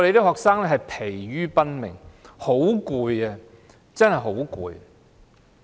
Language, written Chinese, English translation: Cantonese, 學生疲於奔命，真的疲倦不堪。, Students have been worn out and they are really exhausted